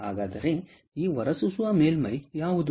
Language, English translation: Kannada, so what is this emitter surface